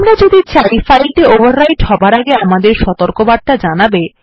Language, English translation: Bengali, If we want our warning before the file is overwritten